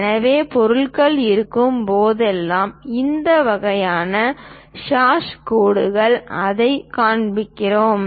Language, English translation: Tamil, So, whenever material is there, we show it by this kind of hash lines